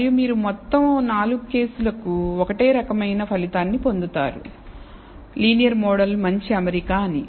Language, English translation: Telugu, And you may conclude for all 4 cases, you will get the same identical result that a linear model is a good fit